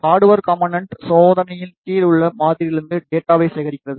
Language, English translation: Tamil, The hardware component collects the data from the sample under tests